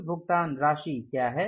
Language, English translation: Hindi, What is the total amount